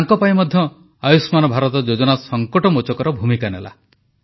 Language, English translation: Odia, For her also, 'Ayushman Bharat' scheme appeared as a saviour